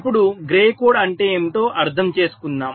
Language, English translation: Telugu, now let us understand what is gray code